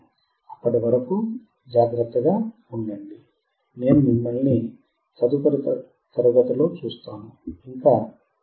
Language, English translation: Telugu, Till then, you take care, I will see you next class, bye